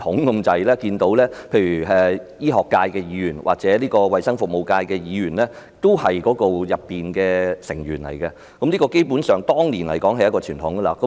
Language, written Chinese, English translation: Cantonese, 我記得當年不論醫學界的議員或衞生服務界的議員均是醫管局大會成員，基本上，這是當年一個傳統。, As I recall Members of both the Medical Functional Constituency and the Health Service Constituency were members of the HA Board back then . Basically this was a tradition in those days